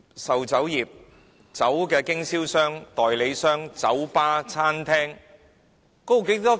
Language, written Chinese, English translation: Cantonese, 售酒業、酒類產品經銷商、代理商、酒吧、餐廳......, The liquor sale business alcoholic beverages dealers agents bars restaurants how much money is involved in these businesses?